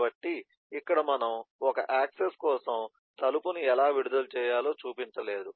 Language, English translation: Telugu, so here we have not shown how to release door for one access